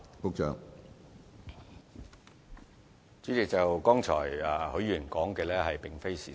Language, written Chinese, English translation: Cantonese, 主席，許議員剛才所說的並非事實。, President the remarks made by Mr HUI just now are not true